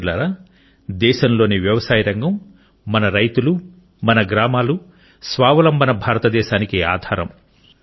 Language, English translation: Telugu, Friends, the agricultural sector of the country, our farmers, our villages are the very basis of Atmanirbhar Bharat, a self reliant India